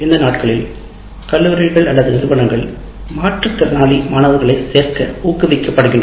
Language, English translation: Tamil, And these days colleges or institutions are encouraged to enroll differently able students